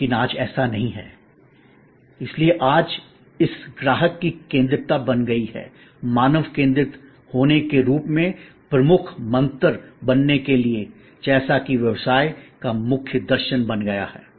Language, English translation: Hindi, But, today that is not a say so, today it has to become this customer's centricity, humans centricity as to become the key mantra, as to become the core philosophy of business